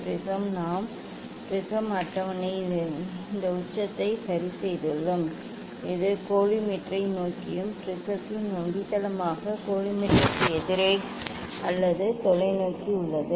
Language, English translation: Tamil, prism we have put on the prism table in such a way this apex ok, it is towards the collimator and just base of the prism just opposite side of the collimator or towards the telescope